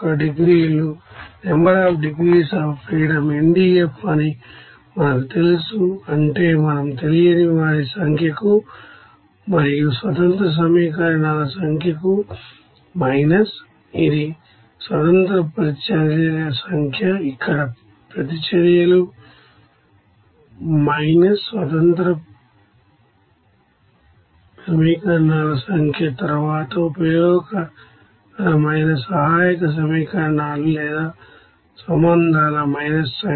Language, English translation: Telugu, We knew that degrees of freedom NDF, that is we calls to number of unknowns plus number of independent equations minus this is sorry number of independent here reactions here reactions minus number of independent equations then minus number of useful auxiliary equations or relations